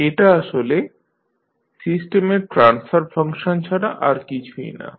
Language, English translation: Bengali, Now, this is the transfer function of the system